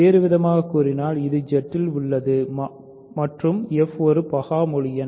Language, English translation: Tamil, In other words, it is in Z and f is a prime integer, right